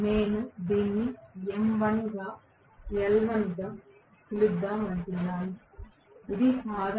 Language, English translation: Telugu, let me call this as m1 this is l1, this is common 1 this is v1